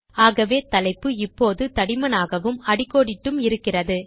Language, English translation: Tamil, Hence the heading is now bold as well as underlined